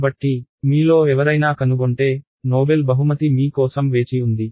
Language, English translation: Telugu, So, if any of you do find it there is a noble prize waiting for you